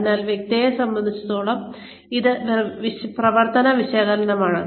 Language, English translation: Malayalam, So, this is the operations analysis, as to the processes